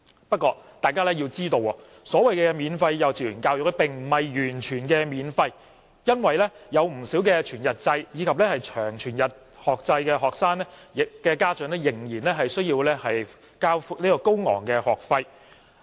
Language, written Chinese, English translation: Cantonese, 不過，須知道，所謂的免費幼稚園教育並不是完全免費的，因為不少全日制及長全日制學生的家長仍須支付高昂的學費。, Yet we should be aware that the so - called free kindergarten education is not entirely free because parents of students in whole - day and long whole - day kindergartens still have to pay high tuition fees